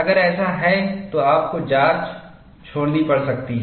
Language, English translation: Hindi, If that is so, then you may have to discard the test